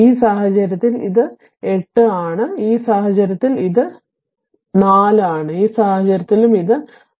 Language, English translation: Malayalam, In this case it is strength is 8, in this case it is strength is 4, in this case also it is strength is 4, right